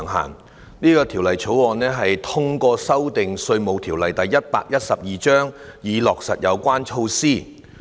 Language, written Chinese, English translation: Cantonese, 《2019年稅務條例草案》透過修訂《稅務條例》，以落實有關措施。, The Inland Revenue Amendment Bill 2019 the Bill seeks to amend the Inland Revenue Ordinance Cap . 112 to implement the relevant measures